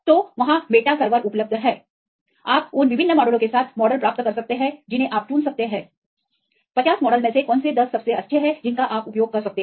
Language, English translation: Hindi, So, there are meta servers available there you can get the models with the different models you can choose which among the 50 models which are the best 10 right you can use that